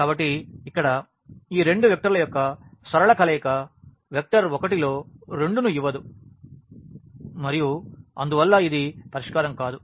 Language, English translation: Telugu, So, here any linear combination of these two vectors will not give us the vector 1 in 2 and hence this is the case of no solution